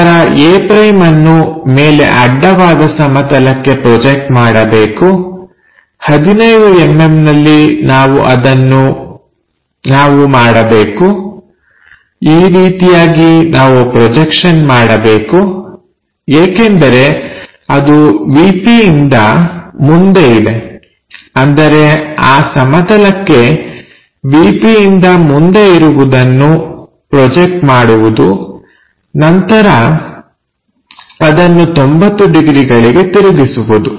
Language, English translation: Kannada, That means, first of all we have to project it, this is the way we have to project, 15 mm we have to make it because it is in front of VP; that means, projecting on to that plane whatever in front of VP rotated by 90 degrees